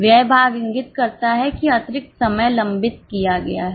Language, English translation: Hindi, Expenditure part indicates that excess spending was done